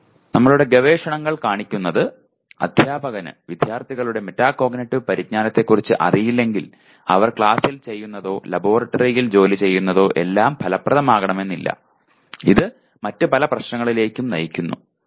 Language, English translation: Malayalam, Our research shows that unless if the teacher is not aware of the metacognitive knowledge of the students, then what he is doing in the class or working in the laboratory may not be effective at all and that leads to many other problems